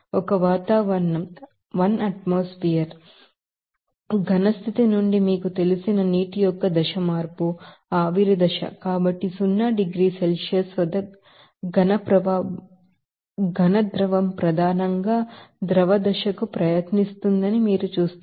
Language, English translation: Telugu, And you know, that one atmospheric there, suppose, there is a you know, a phase change of the suppose water from solid state to you know, vapor phase, so, at zero degrees Celsius, you will see that solid liquid will try to, you know, mainly to the liquid phase